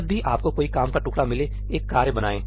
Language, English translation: Hindi, Whenever you find some piece of work, go create a task